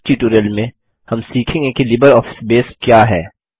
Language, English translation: Hindi, In this tutorial, we will learn about What is LibreOffice Base